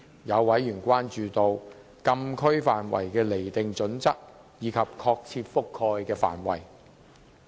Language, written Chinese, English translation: Cantonese, 有委員關注禁區範圍的釐定準則及確切的覆蓋範圍。, Some members expressed concern about the designation criteria and precise coverage of the Closed Areas